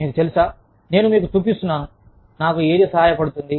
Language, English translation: Telugu, I am just, you know, i am showing you, what helps me